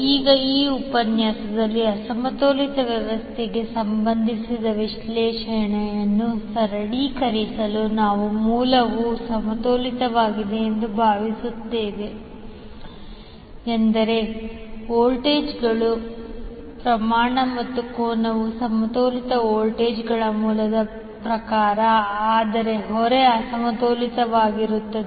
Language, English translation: Kannada, Now to simplify the analysis related to unbalanced system in this particular session we will assume that the source is balanced means the voltages, magnitude as well as angle are as per the balanced voltage source, but the load is unbalanced